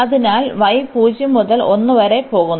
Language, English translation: Malayalam, So, y goes from 0 to 1